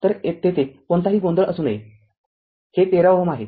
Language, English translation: Marathi, So, there should not be any confusion and this is your 13 ohm